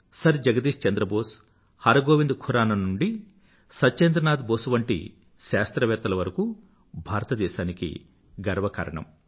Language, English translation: Telugu, Right from Sir Jagdish Chandra Bose and Hargobind Khurana to Satyendranath Bose have brought laurels to India